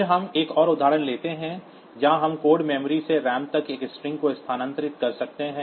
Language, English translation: Hindi, So, we can use this type of program for moving string from code memory to ram